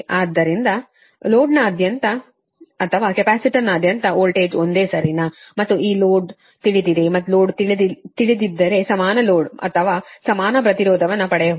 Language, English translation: Kannada, so voltage across the load or across the capacitor is same, right, and this load is known and this load is known that equivalent your, what you call equivalent load or equivalent impudence, can be obtained